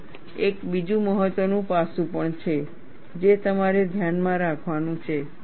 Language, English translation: Gujarati, See, there is also another important aspect that you have to keep in mind